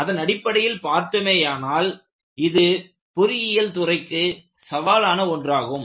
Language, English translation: Tamil, So, from that point of view, the whole design was an engineering challenge